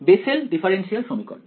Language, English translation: Bengali, Bessel’s differential equation right